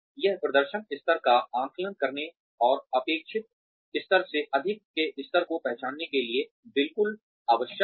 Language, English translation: Hindi, It is absolutely essential, to assess the performance level, and recognize levels that are higher than expected